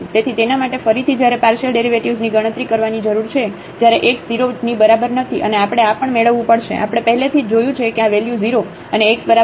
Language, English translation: Gujarati, So, for that again we need to compute the partial derivative when x is not equal to 0 and we have to also get this we have already seen that this value is 0 and x is equal to 0